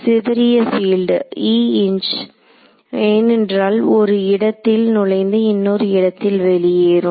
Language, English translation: Tamil, Scatter field because e incident will enter from one place and exit from another place